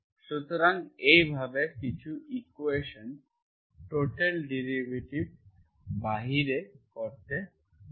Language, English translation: Bengali, So this way, so some equations you can make use of this, total derivative